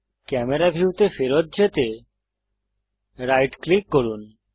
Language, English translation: Bengali, Right click to to go back to camera view